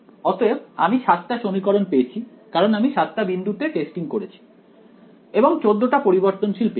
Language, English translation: Bengali, So, I got 7 equations because I tested at 7 different points I got another of 14 variables